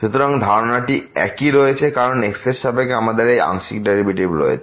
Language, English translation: Bengali, So, the idea remains the same because we have this partial derivative with respect to